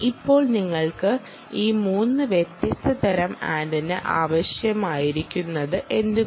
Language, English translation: Malayalam, now, why do you need these three different types of antenna